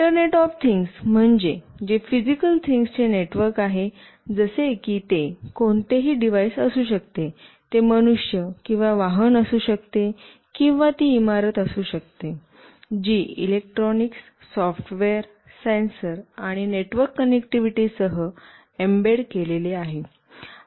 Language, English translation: Marathi, Coming to what is internet of things, it is the network of physical objects, like it could be any device, it could be a human being or a vehicle, or it could be a building, embedded with electronics, software, sensors, and network connectivity